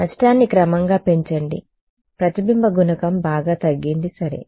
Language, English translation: Telugu, Increase the loss gradually the reflection coefficient is greatly reduced ok